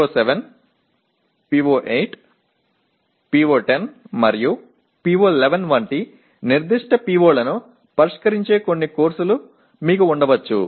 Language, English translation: Telugu, And you may have some courses that address specific POs like PO7, PO8, PO10 and PO11